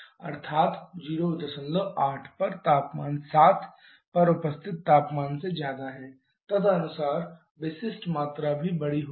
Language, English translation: Hindi, 8 is greater than temperature at 7 accordingly the specific volume also will be larger